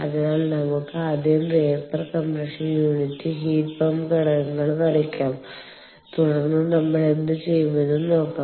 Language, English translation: Malayalam, so let us first draw the vapor compression unit, the heat pump components, and then see what we will do